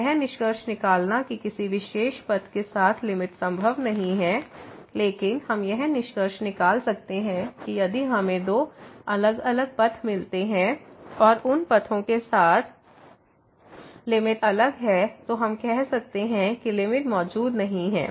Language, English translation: Hindi, So, concluding that the limit along some particular path is not possible, but what we can conclude that if we find two different paths and along those paths, the limit is different then we can say that the limit does not exist